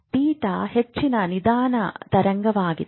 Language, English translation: Kannada, Higher slow wave are theta